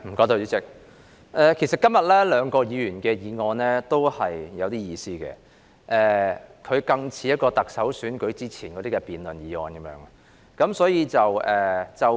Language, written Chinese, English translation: Cantonese, 代理主席，今天兩項議員議案都頗有意思，而且更像是特首選舉前的辯論議題。, Deputy President the two Members motions today are quite interesting and sound more like the debate topics before the Chief Executive election